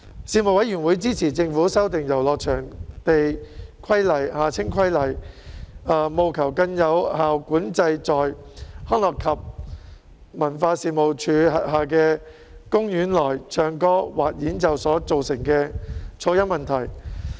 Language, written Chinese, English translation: Cantonese, 事務委員會支持政府修訂《遊樂場地規例》，務求更有效管制在康樂及文化事務署轄下的公園內唱歌或演奏所造成的噪音問題。, The Panel supported the Governments amendment of the Pleasure Grounds Regulation for more effective control of noise nuisance caused by singing or musical performances in parks managed by the Leisure and Cultural Services Department